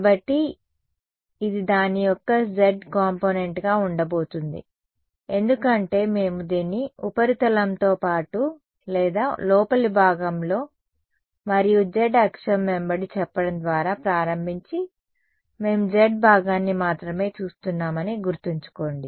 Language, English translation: Telugu, So, this is going to be the z component of it because remember we are enforcing this along we started by say along the surface or on the interior and along the z axis only we are only looking at the z component